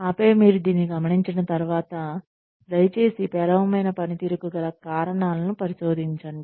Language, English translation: Telugu, And then, once you notice this, then please investigate, the reasons for poor performance